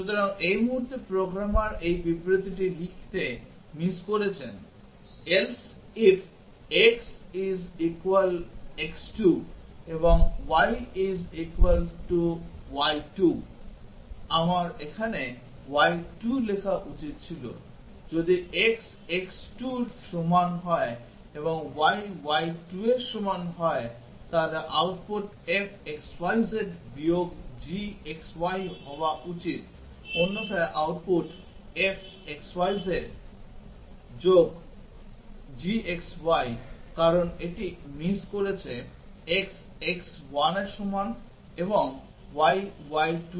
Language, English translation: Bengali, So, at this point the programmer has missed to write this statement else if x = x2 and y = y2, I should have written here y 2, if x = x 2 and y = y 2 then the output should be f(x,y,z) g(x,y) else output f(x,y,z) plus g(x,y) because he has missed this x = x 1 and y = y 2